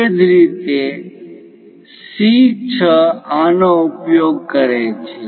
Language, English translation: Gujarati, Similarly, C 6 use this